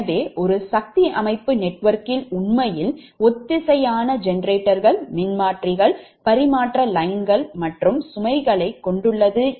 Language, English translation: Tamil, so a power system network actually comprises your synchronous generators, a transformers, transmission lines and loads